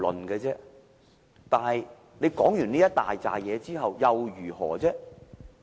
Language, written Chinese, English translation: Cantonese, 然而，說完這堆話之後又如何呢？, Nevertheless whats next after saying all these words?